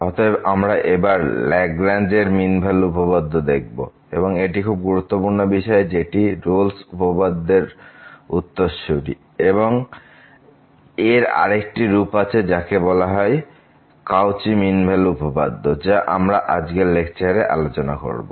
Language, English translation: Bengali, So, we will discuss the Lagrange mean value theorem; a very important concept which is the extension of the previous lecture where we have a studied Rolle’s theorem and there is another generalized a mean value theorem or the Cauchy mean value theorem which will be also discussed in today’s lecture